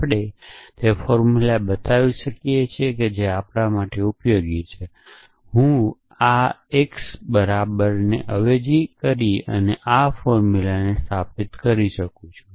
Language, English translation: Gujarati, We can produce the formula which is very useful for us which is that I can instantiate this formula by substituting x equal to this